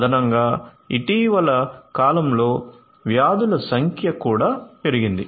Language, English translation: Telugu, Additionally, the number of diseases have also increased in the recent times